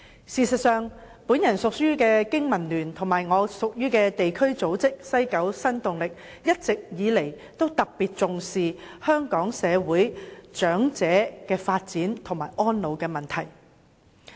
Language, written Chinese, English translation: Cantonese, 事實上，我隸屬的香港經濟民生聯盟及地區組織西九新動力，一直以來均特別重視香港社會的長者發展和安老問題。, In fact the Business and Professionals Alliance for Hong Kong and the district body Kowloon West New Dynamic to which I belong have all along been attaching particular importance to the development of elderly persons and the problem of elderly care in Hong Kong